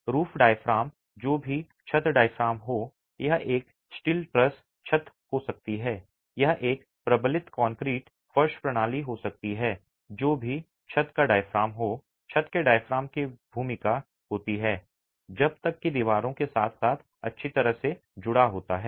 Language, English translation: Hindi, The roof diaphragm, whatever be the roof diaphragm, it could be a steel truss roof, it could be a reinforced concrete flow system, whatever be the roof diaphragm